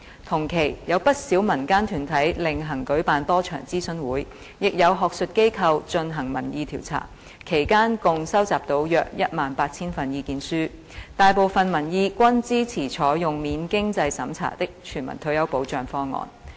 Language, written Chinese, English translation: Cantonese, 同期，有不少民間團體另行舉辦多場諮詢會，亦有學術機構進行民意調查，其間共收集到約18000份意見書，大部分民意均支持採用免經濟審查的全民退保方案。, At the same time quite a number of community groups separately held a number of consultation forums and some academic institutions conducted opinion surveys during which a total of about 18 000 submissions were received and a majority of the public views supported the implementation of a universal non - means - tested retirement protection option